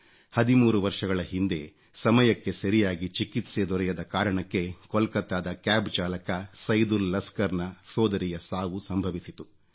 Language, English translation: Kannada, Thirteen years ago, on account of a delay in medical treatment, a Cab driver from Kolkata, Saidul Laskar lost his sister